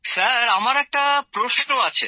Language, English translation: Bengali, Sir, I have a question sir